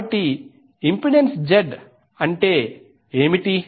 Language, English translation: Telugu, So what is the impedance Z